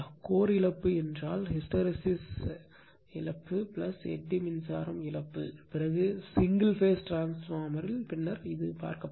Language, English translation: Tamil, Core loss means hysteresis loss plus eddy current loss right, we will see later in the single phase transformer after this topic